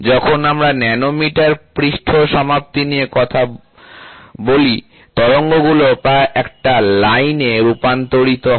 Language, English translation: Bengali, When you talk about nanometer surface finish, the undulations are almost converted into a line